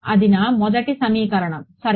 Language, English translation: Telugu, That is my first equation ok